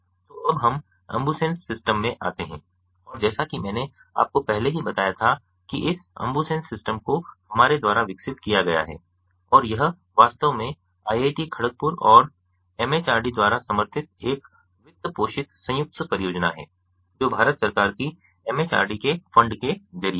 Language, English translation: Hindi, so now we come, ah, ah to the ambusens system and ah, as i already told you initially, this ambusens system has been developed by us, ah, ah, and it was actually funded by a joint ah ah project supported by iit, kharagpur and majority through funds from majority government of india